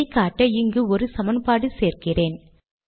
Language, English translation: Tamil, And I have written this equation here